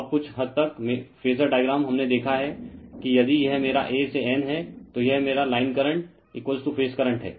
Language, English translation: Hindi, Now, somewhat phasor diagram we have seen that if this is this is my A to N, this is my say your line current is equal to phase current